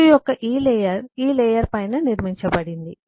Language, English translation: Telugu, this layer of cpu is built on top of this layer